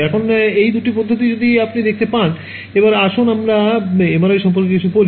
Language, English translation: Bengali, Now, both of these methods if you can see so, let us talk about MRI